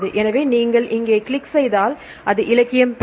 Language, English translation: Tamil, So, if you click here, it will get the literature